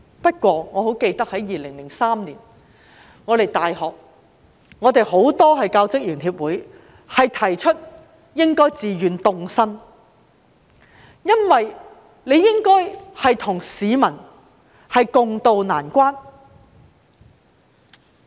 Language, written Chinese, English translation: Cantonese, 不過，我記得在2003年，很多大學教職員協會提出應自願凍薪，應該與市民共渡難關。, There is nothing to be said against it . Nonetheless I recall that in 2003 many staff associations of universities proposed a voluntary pay freeze with a view to riding out adversity with the public